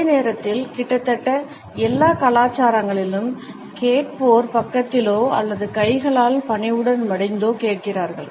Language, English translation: Tamil, At the same time we find that in almost all the cultures the listeners listen with hands by the side or hands folded politely